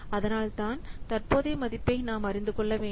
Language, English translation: Tamil, So, that's why we must know the present value